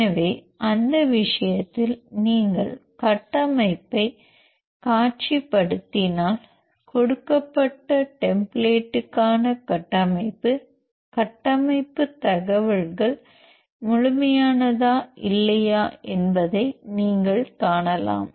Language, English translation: Tamil, So, in that case if you visualize the structure, you can see whether the structure structural information for the given template is complete or not